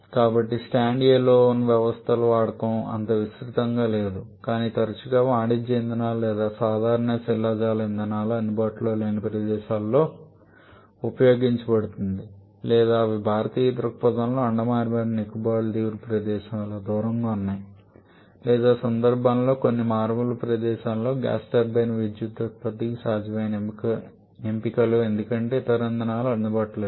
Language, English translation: Telugu, So, it is not that widespread the use of stand alone systems quite often it is used in places where commercial fuels or common fossil fuels are not available or they are far away from locations like because from Indian perspective I can mention about the places like Andaman and Nicobar islands or some remote places of Sunderbans where gas turbines can be feasible options for power generation because there are no other fuels available